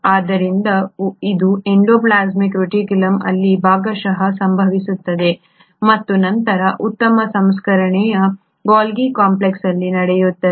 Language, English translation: Kannada, So that happens partly in the endoplasmic reticulum and then the further fine processing happens in the Golgi complex